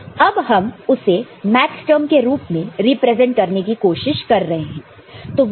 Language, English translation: Hindi, Now, we are trying to represent it using Maxterm